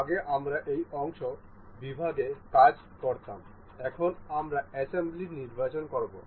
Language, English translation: Bengali, Earlier you we used to work in this part section, now we will be selecting assembly